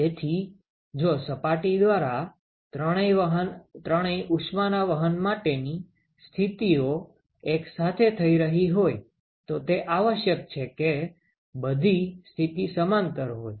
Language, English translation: Gujarati, So, if all three heat transfer modes are occurring simultaneously through a surface, then it is essentially all modes are in parallel